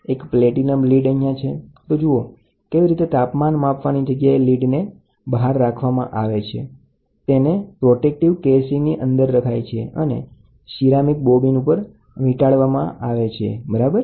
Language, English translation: Gujarati, A platinum lead is here, so this is how it is exposed to the temperature and then, it is put inside a protective casing and inside the protective casing, the lead is wound around a ceramic bobbin, ok